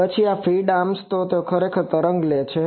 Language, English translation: Gujarati, Then there are these feed arms they actually take that wave